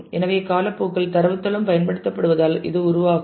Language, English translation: Tamil, So, it will evolve as data base is used over time